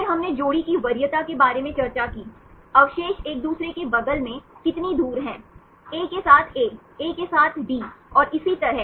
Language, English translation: Hindi, Then we discussed about the pair preference, how far the residues occur next to each other: A with A, A with D and so on